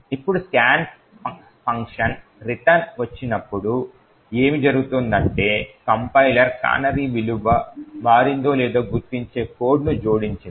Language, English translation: Telugu, Now when the scan function returns what happens is that the compiler has added code that detects whether the canary value has changed